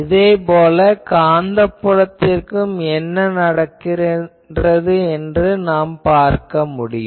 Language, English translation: Tamil, So, similarly we can also see that what will happen to the Magnetic field